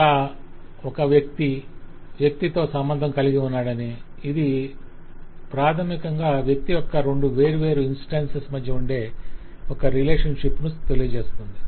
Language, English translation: Telugu, so it says that person is associated with person, which will mean that basically there is some relationship between two different instances of the person